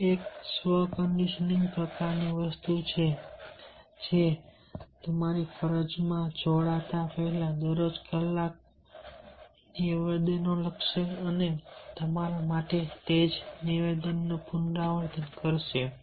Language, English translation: Gujarati, this is a self conditioning type of things which will write some statements and repeat the same statement for yourself every day before joining your duty